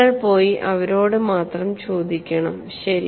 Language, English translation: Malayalam, You have to go and ask them only